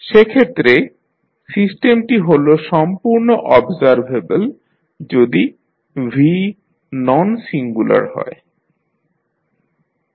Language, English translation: Bengali, In that case, the system is completely observable if V is not a singular matrix